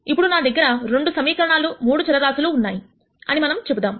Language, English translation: Telugu, If I had, let us say, 2 equations and 3 variables